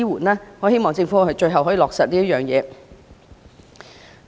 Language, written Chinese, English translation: Cantonese, 我真的希望政府最終能落實這個方案。, I really hope that the Government can eventually put in place this proposal